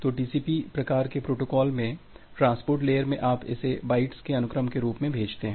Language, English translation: Hindi, So, in transport layer in TCP kind of protocol you send it in the form of sequence of bytes